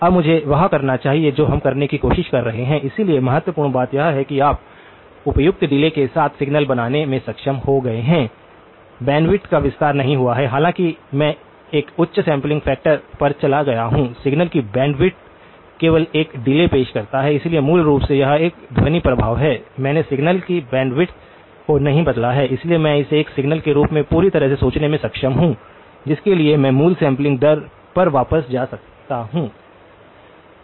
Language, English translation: Hindi, Now, I must what we are trying to do is; so the important thing is that you have been able to create the signal with the appropriate delay, the bandwidth has not expanded so though, I have gone to a higher over sampling factor, the bandwidth of the signal; only introduced a delay, so basically it is an acoustic effect, I have not changed the bandwidth of the signal, so I am perfectly able to think of this as a signal for which I can go back to the original sampling rate